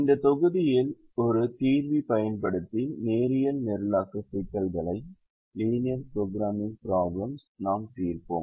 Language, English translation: Tamil, in this module we will solve linear programming problems using a solver